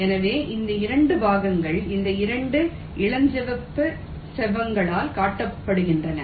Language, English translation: Tamil, so these two parts is shown by these two pink rectangles